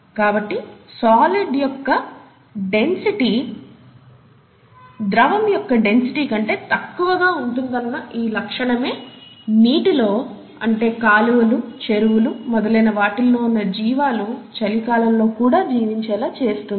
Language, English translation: Telugu, And so this very property that the density of the solid is less than the density of liquid is what makes water, what makes life possible in all those water bodies, lakes, rivers and so on and so forth, in winter